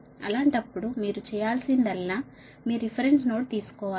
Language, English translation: Telugu, in that case what you have to do is that you take a reference node